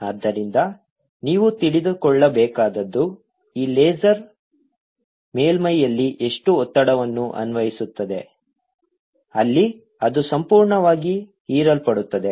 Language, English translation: Kannada, therefore, what you want to know is how much pressure does this laser apply on a surface where it is completely absorbed